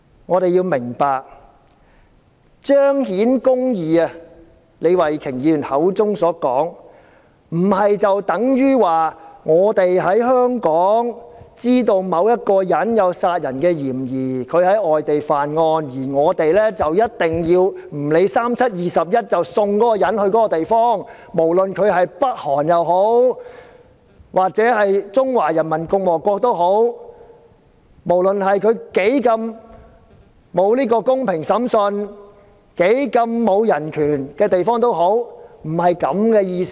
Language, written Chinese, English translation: Cantonese, 我們要明白，要做到李慧琼議員口中所說的"彰顯公義"，並不等於知道香港某人有在外地干犯殺人罪的嫌疑，便"不理三七二十一"，將他送到有關地方，不論是北韓也好、中華人民共和國也好，不論該地方的審訊有多麼不公平、當地的人權受到多大的壓制，並不是這個意思。, We must understand that to attain the justice referred to by Ms Starry LEE it does not imply surrendering a certain person in Hong Kong who is known to be a suspect of a homicide in a foreign place to that foreign place directly be it North Korea or the Peoples Republic of China without considering how unfair the justice system in that place is or how hard the human rights is suppressed there . It does not mean that